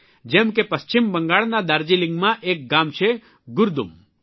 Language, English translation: Gujarati, Just as a village Gurdum in Darjeeling, West Bengal